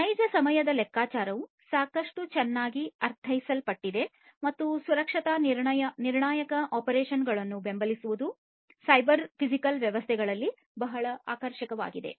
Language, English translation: Kannada, Real time computation it is quite well understood and supporting safety critical applications is what is very attractive of cyber physical systems